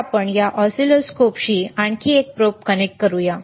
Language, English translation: Marathi, So, let us connect another probe to this oscilloscope